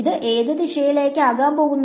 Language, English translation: Malayalam, So, which way is it going to go